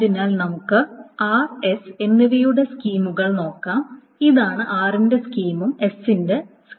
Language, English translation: Malayalam, This is the schema of r and the schema of s